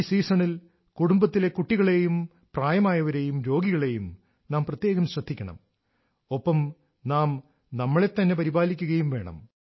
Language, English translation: Malayalam, In this weather, we must take care of the children and elders in the family, especially the ailing and take precautions ourselves too